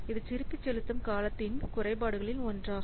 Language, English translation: Tamil, So this is one of the drawback of the payback period